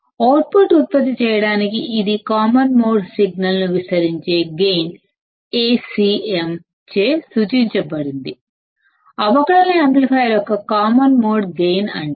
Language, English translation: Telugu, The gain with which it amplifies the common mode signal to produce the output is called the common mode gain of the differential amplifier denoted by Acm